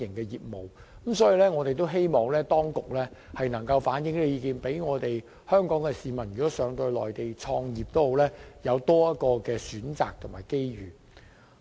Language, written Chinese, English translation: Cantonese, 因此，我們希望當局能反映意見，可讓前往內地創業的港人有多一個選擇和機遇。, Thus we hope that the authorities can relay our view so that Hong Kong people wish to start their businesses in the Mainland can have one more choice and one more opportunity